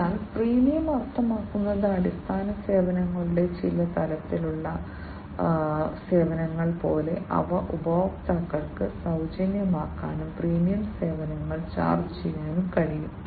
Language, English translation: Malayalam, So, freemium means, like you know the certain levels of service the basic services, they can be made free to the customers and the premium services can be charged